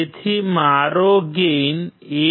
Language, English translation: Gujarati, So, my gain is 1